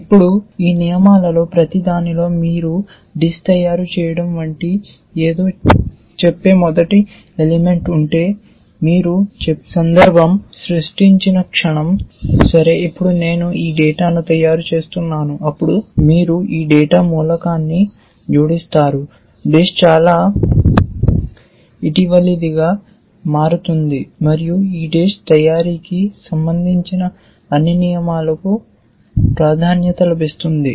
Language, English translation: Telugu, Now, if you in each of this rules, if you have the first element which says something like making sambar or making subjee or making chapati or making rice, then the moment you create a context for saying, okay now I am making rice then you will add that data element saying making rice that will become the most recent and all the rules which are concern with making rice they will get priority essentially